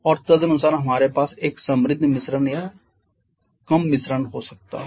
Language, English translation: Hindi, And accordingly we can have either a rich mixture or a lean mixture